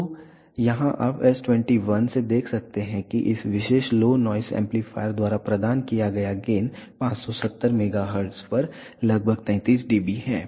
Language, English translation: Hindi, So, here you can see from s 21 that the gain provided by this particular low noise amplifier is around 33 dB at 570 megahertz